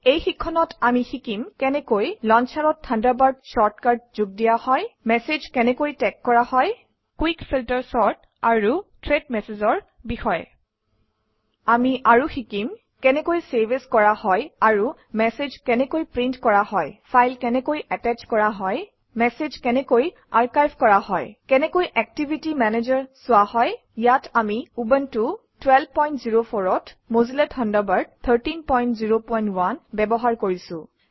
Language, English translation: Assamese, Welcome to the Spoken Tutorial on How to Use Thunderbird In this tutorial we will learn how to: Add the Thunderbird short cut to the launcher Tag Messages Quick Filter Sort and Thread Messages We will also learn to: Save As and Print Messages Attach a File Archive Messages View the Activity Manager Here we are using Mozilla Thunderbird 13.0.1 on Ubuntu 12.04 As we access Thunderbird quite often, lets create a short cut icon for it